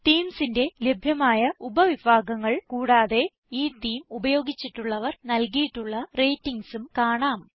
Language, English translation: Malayalam, Here you can preview the theme, see the categories of themes available and see the ratings given by other users who have used the theme